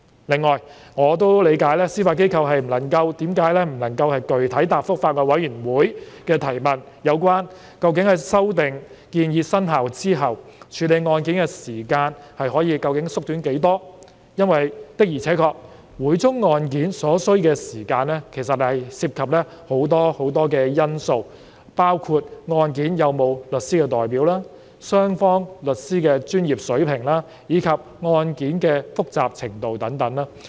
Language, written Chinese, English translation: Cantonese, 另外，我亦理解司法機構為何不能具體答覆法案委員會的提問，說明修訂建議生效後處理案件的時間究竟可以縮短多少，因為每宗案件所需時間的確涉及很多因素，包括有否律師代表、雙方律師的專業水平，以及案件的複雜程度等。, Besides I understand why the Judiciary is unable to give a concrete reply to the Bills Committees enquiry on the amount of time that can be reduced for processing of cases after the proposed amendments have come into operation . It is because the time taken for each case depends on many factors including the use of legal representation the professional competence of the lawyers of both parties and the complexity of the case